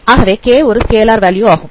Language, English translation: Tamil, So this is some scalar value k